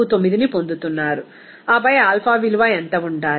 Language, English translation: Telugu, 49 as Tr and then what should be the alpha value